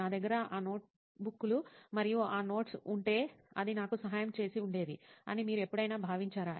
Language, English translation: Telugu, And did you ever feel the need to, if I had those notebooks and that notes right now, it would have helped me out